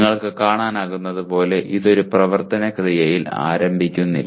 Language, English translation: Malayalam, As you can see it does not start with an action verb